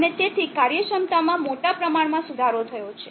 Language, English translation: Gujarati, And therefore, efficiency is greatly improved